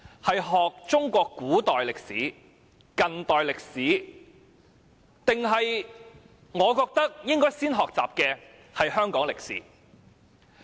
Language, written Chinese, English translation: Cantonese, 是學習中國古代歷史、中國近代歷史，還是我認為應先學習的香港歷史？, Do we want them to learn ancient Chinese history modern Chinese history or Hong Kong history ?